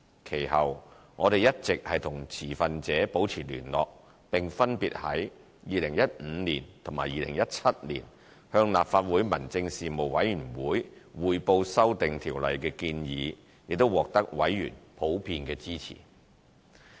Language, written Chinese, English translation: Cantonese, 其後，我們一直與持份者保持聯繫，並分別在2015年及2017年向立法會民政事務委員會匯報修訂《條例》的建議，亦獲得委員普遍支持。, The Administration maintained contact with all stakeholders afterwards and briefed the Legislative Council Panel on Home Affairs on our proposals to amend the Ordinance in 2015 and 2017 respectively . Members of the Panel on Home Affairs generally supported our proposals